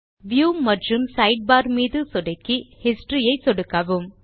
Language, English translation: Tamil, Click on View and Sidebar and then click on History